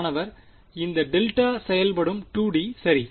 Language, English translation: Tamil, This delta function also 2D right